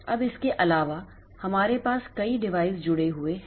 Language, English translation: Hindi, Now, apart from that we have got a number of devices connected